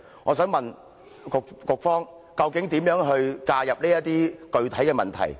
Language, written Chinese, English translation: Cantonese, 我想問局方究竟如何介入這些具體問題？, May I ask how will the Bureau tackle these specific problems?